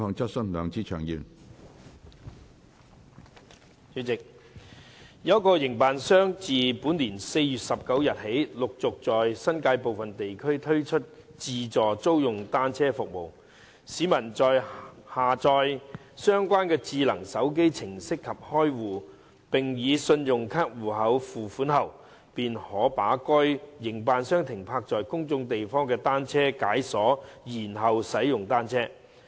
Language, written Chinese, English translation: Cantonese, 主席，有一個營辦商自本年4月19日起陸續在新界部分地區推出自助租用單車服務：市民在下載相關智能手機程式及開戶，並以信用卡戶口付款後，便可把該營辦商停泊在公眾地方的單車解鎖然後使用單車。, President since 19 April this year an operator has progressively launched an automated bicycle rental service in some areas of the New Territories under which members of the public who have downloaded the relevant smartphone application opened an account and made payment through their credit card accounts may unlock the bicycles parked by the operator in public places and then use them for riding